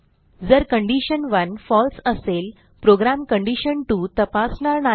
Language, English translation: Marathi, If condition 1 is false, then the program will not check condition2